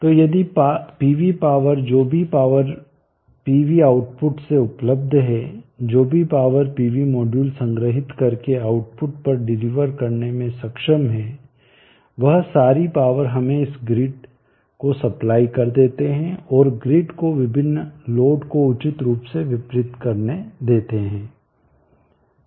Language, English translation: Hindi, So if the PV power whatever power is available from the pv output whatever power the pv module are capable of capturing in delivering it at the output all that power let us supply it to the grid